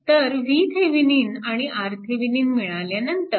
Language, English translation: Marathi, So, after getting V Thevenin and R Thevenin, let me clear it